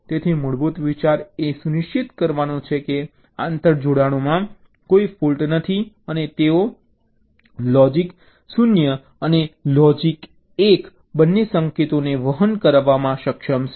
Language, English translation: Gujarati, so the basic idea is to ensure that there is no fault in the interconnections and they can be able to carry both logic zero and logic one signals